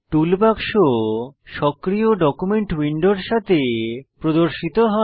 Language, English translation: Bengali, Toolbox is displayed along with the active document window